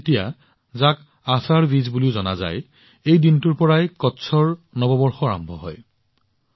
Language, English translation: Assamese, Ashadha Dwitiya, also known as Ashadhi Bij, marks the beginning of the new year of Kutch on this day